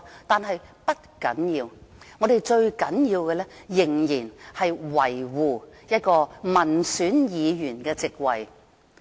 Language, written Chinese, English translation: Cantonese, 然而，不要緊，最重要的是我們要仍然維護一個民選議員的席位。, But never mind and it is most important that we continue to protect the office of an elected Member